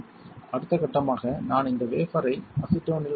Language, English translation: Tamil, The next step would be I will dip this wafer in acetone